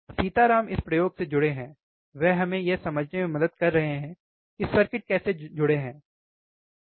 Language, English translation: Hindi, Sitaram is involved with this experiment, he is helping us to understand, how the circuits are connected, right